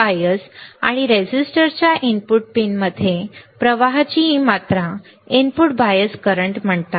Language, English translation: Marathi, This amount of current that flows into input pins of the bias and resistor are called input bias currents that are called input bias currents